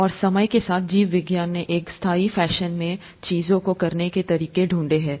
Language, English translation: Hindi, And, over time, biology has found methods to do things in a sustainable fashion